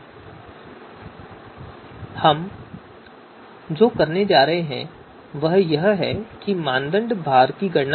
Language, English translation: Hindi, Now what we are going to do is we will compute criteria weights